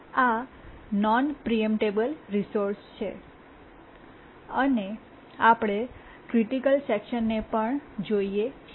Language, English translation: Gujarati, These are the non preemptible resources and also we'll look at the critical sections